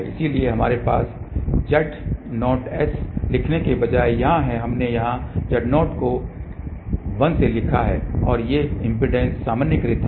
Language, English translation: Hindi, So, we have here instead of writing Z 0s, Z 0 we have written here 1 and these impedances are normalized